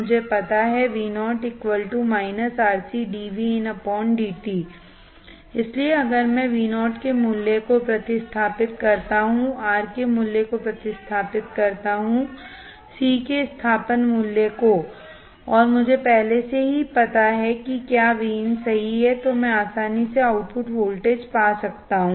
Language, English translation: Hindi, So, if I substitute the value of Vo, substitute the value of R, substitute value of C, and I already know what is Vin right then I can easily find output voltage Vo